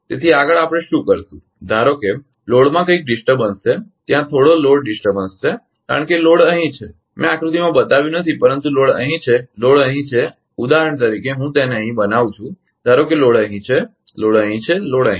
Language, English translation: Gujarati, So, next what we will do suppose suppose there is some disturbance in the load some some load disturbance is there because load is here I have not shown in the diagram, but load is here load is here for example, I am making it here suppose that load is here ah load is here load is here